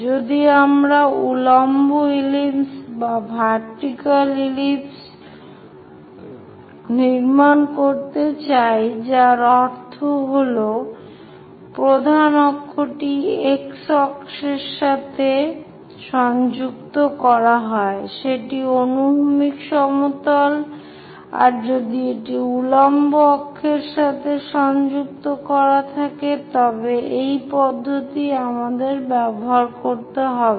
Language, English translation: Bengali, If we would like to construct vertical ellipse, that means the major axis is aligned with x axis are now horizontal plane that if it is aligned with vertical axis, the same procedure we have to do